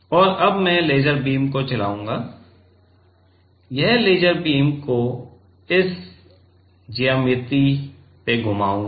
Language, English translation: Hindi, And, now I will move the laser beam; I will move the laser beam in this geometry